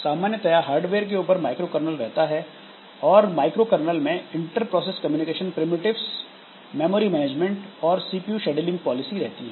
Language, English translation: Hindi, And microcern kernel it has got inter process communication primitives, memory management and CPU scheduling policy